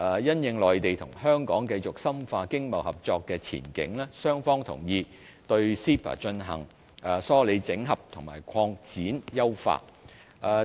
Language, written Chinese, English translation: Cantonese, 因應內地與香港繼續深化經貿合作的前景，雙方同意對 CEPA 進行梳理整合和擴展優化。, Given the continual broadening of economic and trading ties between the Mainland and Hong Kong the two sides have agreed to collate coordinate expand and enhance cooperation under CEPA